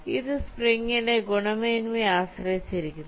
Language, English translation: Malayalam, so this depends on the quality of the spring